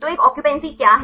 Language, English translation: Hindi, So, what is a occupancy